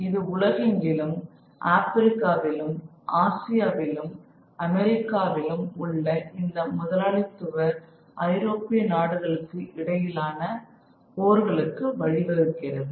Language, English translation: Tamil, And that leads to these intercapitalist inter European wars across the globe in Africa, in Asia and in Americas